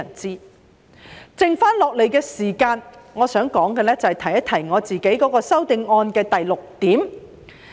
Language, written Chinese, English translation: Cantonese, 在剩下來的時間，我想說說我的修正案的第六點。, In my remaining speaking time I will talk about point 6 of my amendment